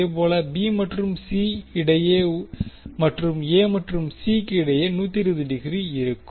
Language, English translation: Tamil, Similarly, between B and C and between A and C will be also 120 degree